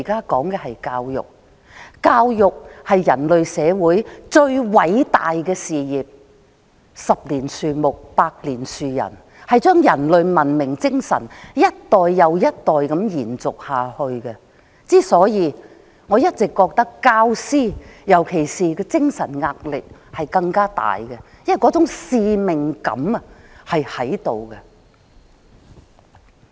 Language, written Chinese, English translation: Cantonese, 教育是人類社會最偉大的事業，十年樹木，百年樹人，將人類的文明精神一代又一代的延續下去，所以我認為教師的精神壓力更加大，因為那種使命感是存在的。, As the saying goes it takes 10 years to grow a tree and 100 years to nurture a man . It endeavours to carry on the spirit of human civilization generation after generation . Therefore I consider that teachers have even greater mental pressure because of the presence of that particular sense of mission